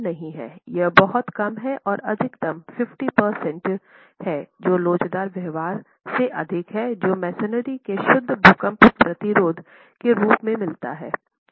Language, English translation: Hindi, It's not significant, it's very low and at the most 50% is what is more than the elastic behavior is what you actually get as far as pure earthquake resistance of masonry